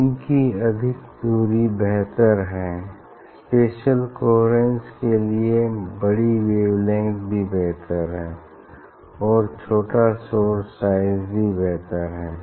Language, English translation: Hindi, screen distance is higher is better, higher wavelength also it is better for spatial coherent and smaller source size is better for spatial coherent